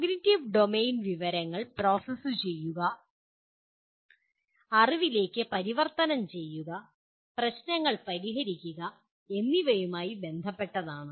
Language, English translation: Malayalam, Cognitive domain is concerned with what do you call processing information, converting into knowledge, solving problems